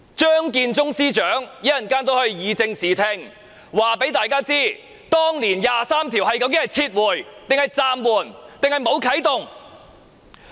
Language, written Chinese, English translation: Cantonese, 張建宗司長稍後亦可以正視聽，告訴大家當年"第二十三條"的法案究竟是撤回、暫緩，還是沒有啟動。, Chief Secretary Matthew CHEUNG can clarify the facts and set the record straight later on and tell everyone whether the Article 23 Bill was withdrawn suspended or not activated